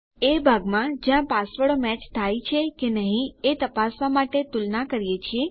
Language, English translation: Gujarati, At the part where we compare our passwords to check if they match